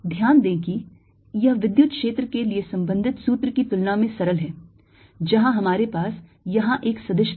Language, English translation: Hindi, notice that this is simpler than the corresponding formula for the electric field, where we had a vector